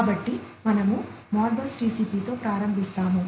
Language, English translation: Telugu, So, we will start with the ModBus TCP